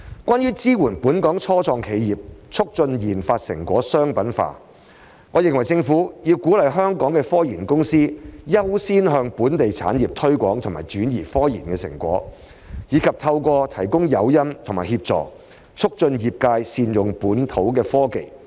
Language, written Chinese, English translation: Cantonese, 關於"支援本港初創企業，促進研發成果商品化"，我認為政府要鼓勵香港的科研公司優先向本地企業推廣和轉移科研成果，以及透過提供誘因和協助，促進業界善用本土科技。, Regarding to support local start - ups in fostering the commercialization of their research and development achievements I think the Government should encourage Hong Kong research companies to accord priority to promoting and transferring their research results to local enterprises and facilitate the use of local technologies by the industry through the provision of incentives and assistance . Take the local testing and certification industry as an example